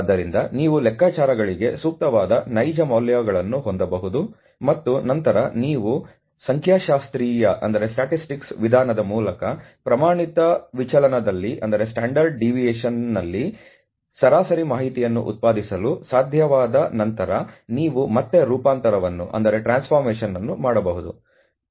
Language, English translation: Kannada, So, that you can have real values which are fit for calculations etcetera, and then you can do the transformation back again once you have been able to generate the information on the mean in the standard deviation through his statistical method